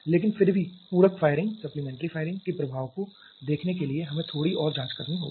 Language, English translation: Hindi, But still to see the effect of the supplementary firing let us investigate a bit more